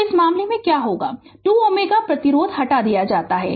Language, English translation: Hindi, So, in this case what will happen that 2 ohm resistance is taken off